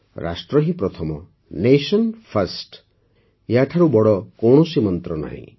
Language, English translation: Odia, Rashtra Pratham Nation First There is no greater mantra than this